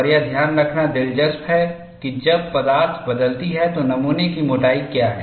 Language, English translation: Hindi, And it is interesting to note, what is the thickness of the specimen when the material changes